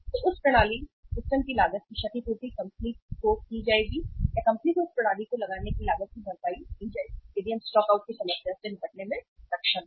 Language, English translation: Hindi, So that system, the cost of the system will be compensated to the company or the company will be compensated for the cost of say putting this systems in place if we are able to deal with the problem of the stockouts